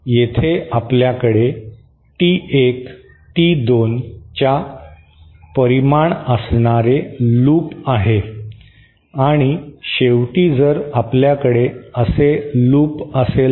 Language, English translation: Marathi, So, here we have a loop with magnitude T1, T2 and finally if we have a loop, if we have a loop like this